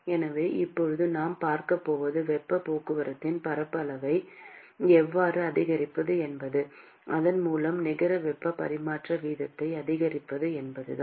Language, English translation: Tamil, So, now, what we are going to see is how to increase the area of heat transport and thereby increase the net heat transfer rate